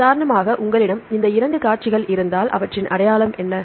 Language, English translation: Tamil, For example, if you have these two sequences, what is the identity